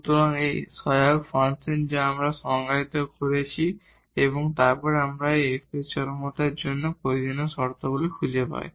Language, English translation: Bengali, So, this is the auxiliary function we define and then we find the necessary conditions on for the extrema of this F